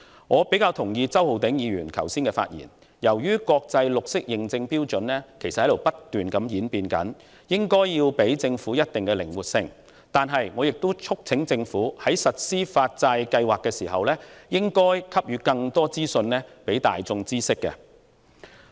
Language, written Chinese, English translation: Cantonese, 我個人較為同意周浩鼎議員剛才的發言，他提到由於國際綠色認證標準正在不斷演變，因此我們應給予政府一定程度的靈活性，但另一方面，我亦促請政府在實行發債計劃時，應該為公眾提供更多相關資訊。, Personally I see more eye to eye with Mr Holden CHOW regarding the point he has made in his speech just now that is given the ever - changing standards of the international green bond certification we ought to give the Government certain degree of flexibility . On the other hand however I urge the Government to make more relevant information available to the public when implementing the Programme